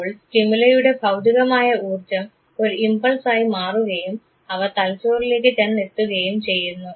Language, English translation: Malayalam, So, when the physical energy of the stimuli, when it is gets converted into the impulse and get transmitted to the brain